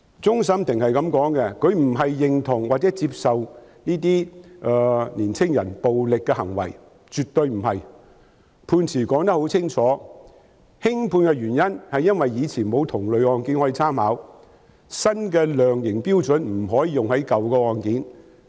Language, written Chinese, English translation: Cantonese, 終審法院表示並非認同或接受這些青年人的暴力行為，絕對不是這樣，判詞寫得很清楚，輕判的原因是過往沒有同類案件可作參考，新的量刑標準不能用於舊案件。, The Court of Final Appeal has stated that it neither supports nor accepts the violent acts of these young people . It absolutely does not support or accept these acts . As it is clearly written in the judgment the reasons for meting out a light sentence were that there was no similar precedent to draw reference from and the new sentencing criteria were not applicable to old cases